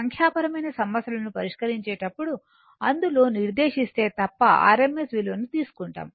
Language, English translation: Telugu, Whenever we will solve numericals unless and until it is specified we will take the rms value